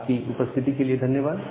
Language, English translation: Hindi, So thank you all for attending this class